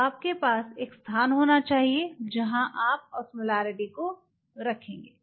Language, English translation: Hindi, So, you have to have a spot where you will be putting the osmometer ok